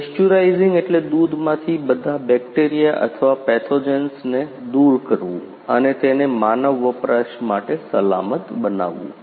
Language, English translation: Gujarati, Pasteurising means removing all bacteria or pathogens from milk and make it safe to safe for human consumption